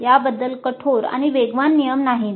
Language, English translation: Marathi, There is no hard and fast rule regarding it